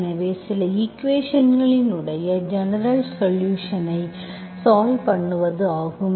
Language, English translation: Tamil, So this is how you solve the general solution of certain equations